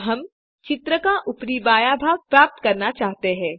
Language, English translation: Hindi, Now, we wish to obtain the top left quarter of the image